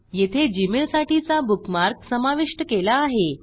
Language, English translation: Marathi, We had also added a bookmark for gmail there